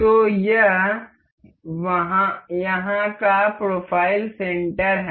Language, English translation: Hindi, So, this here is profile center